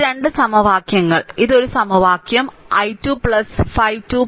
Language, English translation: Malayalam, So, these 2 equation this is one equation i 2 plus 5 is equal to 2